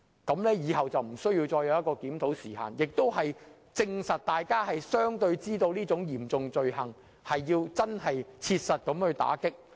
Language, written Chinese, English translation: Cantonese, 如此一來，日後便無須設立檢討時限，亦證明了大家確認這是嚴重罪行，需要切實打擊。, In that case it will not be necessary to set a time frame for review in the future acknowledging the fact that it is commonly seen as a serious offence in need of concrete enforcement action